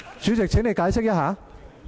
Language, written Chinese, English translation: Cantonese, 主席，請你解釋一下。, President please make an elucidation